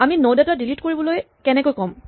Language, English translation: Assamese, How do we specify to delete a node